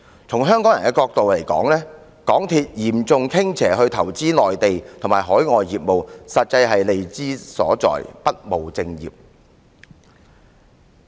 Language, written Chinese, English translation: Cantonese, 從香港人的角度來看，港鐵公司嚴重傾斜去投資內地和海外業務，實在是利之所至，不務正業。, From the standpoint of the Hong Kong people MTRCLs severe tilt to investments in the Mainland and overseas business is profit - oriented and it has gone astray